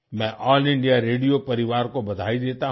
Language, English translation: Hindi, I congratulate the All India Radio family